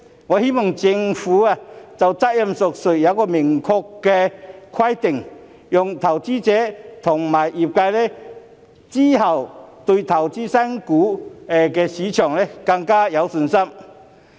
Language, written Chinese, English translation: Cantonese, 我希望政府能就責任問題訂立明確規定，好讓投資者和業界日後對投資新股更有信心。, I hope the Government will draw up clear rules to provide for the accountability issue so as to boost the confidence of investors and the trade in future IPO investments